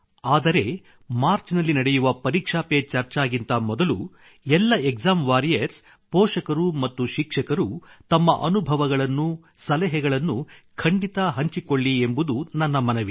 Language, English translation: Kannada, But before the 'Pariksha Pe Charcha' to be held in March, I request all of you exam warriors, parents and teachers to share your experiences, your tips